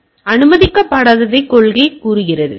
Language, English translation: Tamil, So, policy says what is not allowed